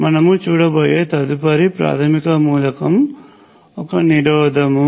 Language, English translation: Telugu, The next basic element, we will be looking at it is a resistor